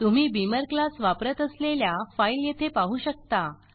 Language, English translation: Marathi, You can see a file that uses Beamer class